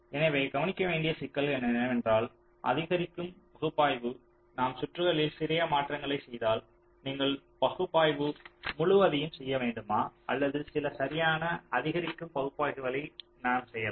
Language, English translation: Tamil, so the problems that need to be looked at is that incremental analysis if we make small changes in the circuit, do you have to do the analysis all over or we can do some correct incremental analysis